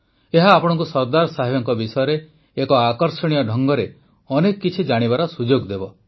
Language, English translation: Odia, By this you will get a chance to know of Sardar Saheb in an interesting way